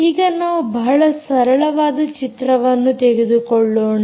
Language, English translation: Kannada, let us start by taking a very simple picture